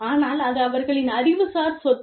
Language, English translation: Tamil, But, it is their intellectual property